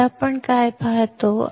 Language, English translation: Marathi, What do we see now